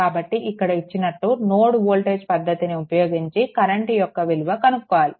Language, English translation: Telugu, So, you are using the node voltage method, you have been asked to find out the current